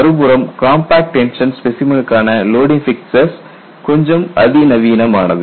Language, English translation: Tamil, On the other hand, the compact tension specimen loading fixtures have to be little more sophisticated